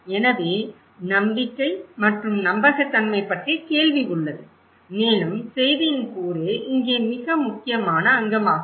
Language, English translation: Tamil, So, there is a question of trust and creditability and also the component of message is very important component here